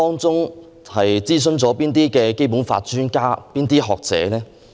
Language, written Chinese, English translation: Cantonese, 諮詢了哪位《基本法》專家和學者？, Which Basic Law expert or scholar has it consulted?